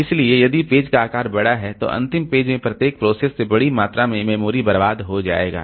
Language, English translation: Hindi, So if a page size is large then large amount of space will be wasted by each of the processes in the last page